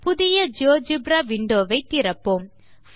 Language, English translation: Tamil, Lets open a new GeoGebra window